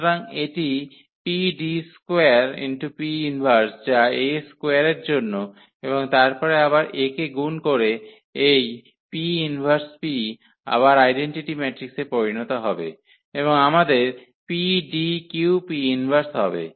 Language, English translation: Bengali, So, this PD square P inverse that is for A square and then again multiplied by A and this P inverse P will again become the identity matrix and we will have PDQ P inverse